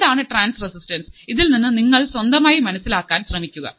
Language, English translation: Malayalam, So, understand what is transresistance, understand something, try to learn by yourself as well